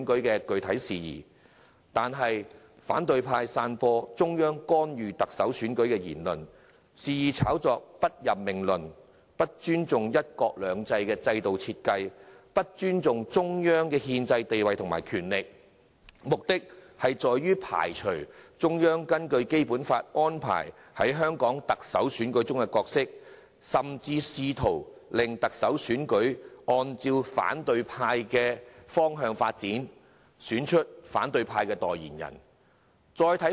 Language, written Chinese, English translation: Cantonese, 然而，反對派散播中央干預特首選舉的言論，肆意炒作"不任命論"，不尊重"一國兩制"的制度設計，亦不尊重中央的憲制地位和權力，目的是要排除中央根據《基本法》安排在香港特首選舉中的角色，甚至試圖令特首選舉按照反對派的意願發展，選出其代言人。, However the opposition camps remarks about the Central Authorities interference in the Chief Executive election its wilful hype of the non - appointment theory as well as its disrespect for the design of one country two systems and the Central Governments constitutional status and power aim at eliminating the Central Governments role in the Hong Kong Chief Executive election under the Basic Law . The opposition camp even attempts to make the election develop in its desired direction and selects its spokesperson